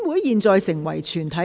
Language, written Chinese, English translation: Cantonese, 現在成為全體委員會。, Council became committee of the whole Council